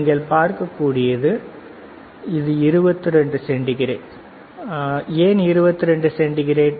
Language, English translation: Tamil, And what you can see is it is around 22 degree centigrade, why 22 degree centigrade